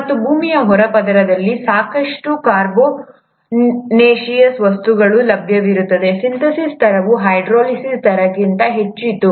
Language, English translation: Kannada, And since there were sufficient carbonaceous material available in the earth’s crust, the rate of synthesis was much much higher than the rate of hydrolysis